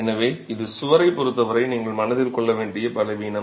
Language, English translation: Tamil, So, this is a weakness that needs to be kept in mind as far as the wall is concerned